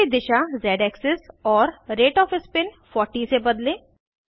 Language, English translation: Hindi, Change the direction of spin to Z axis and rate of spin to 40